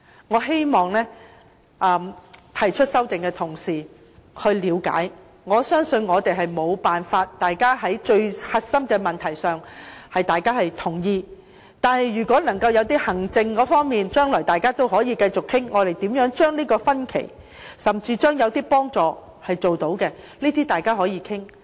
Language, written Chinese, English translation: Cantonese, 我希望提出修正案的同事能夠了解，我相信大家無法在核心問題上達成共識。但是，就行政方面，大家將來可繼續討論，看看如何縮窄分歧，甚至提供幫助，這些都是大家可以探討的。, I hope Honourable colleagues who have proposed amendments to the Bill can understand that while I believe it is impossible for us to reach a consensus on the core issues we can continue to hold discussions on the administrative aspect in order to find out how differences can be narrowed and even how assistance can be rendered . These are what we can explore and discuss